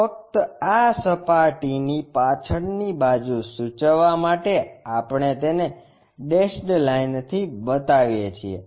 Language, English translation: Gujarati, Just to indicate the back side we have this surface, we show it by dashed line